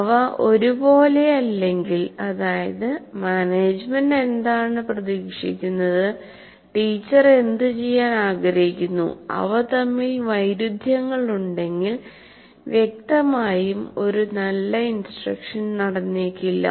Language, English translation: Malayalam, If they are not in alignment, that means what the management expects and what the teacher wants to do, if they are at variance, obviously a good instruction may not take place